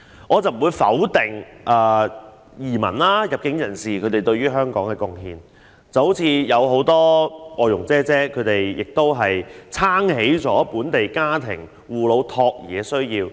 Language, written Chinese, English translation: Cantonese, 我不否定移民和入境人士對香港所作的貢獻，正如很多外傭承擔了本地家庭的護老和託兒需要。, I would not deny the contributions made by new immigrants and entrants to Hong Kong as in the case of foreign domestic helpers who have assisted local families in taking care of their elderly and children